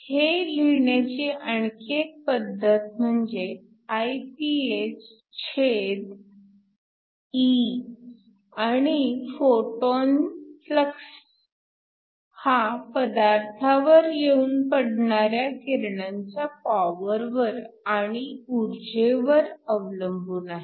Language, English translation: Marathi, Another way of writing this is that it is Iphe and the flux of the photons is depends upon the power of the incident radiation and the energy